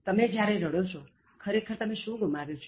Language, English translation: Gujarati, When you cry, what have you actually lost